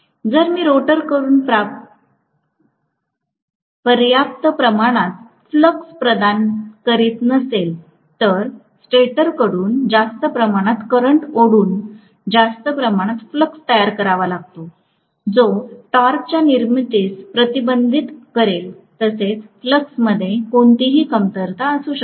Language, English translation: Marathi, If I do not provide sufficient amount of flux from the rotor, it might have to produce excess or more amount of flux by drawing more amount of current from the stator, which will fend for production of torque, as well as any shortcoming in the flux